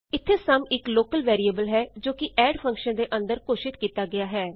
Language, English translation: Punjabi, Here sum is a local variable it is declared inside the function add